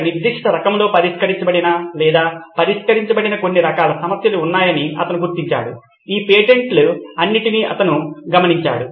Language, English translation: Telugu, He noted that there was certain types of problems that were fixed or solved in a certain type of in a certain way, he noticed these patents all along